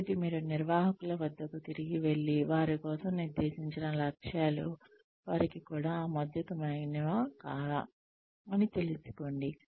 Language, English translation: Telugu, So, you sort of, you go back to the managers, and find out, whether the objectives, that have been set for them, are even acceptable to them